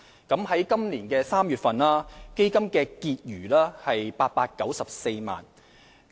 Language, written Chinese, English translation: Cantonese, 在今年3月，基金的結餘為894萬元。, In March this year the Fund recorded a balance of 8.94 million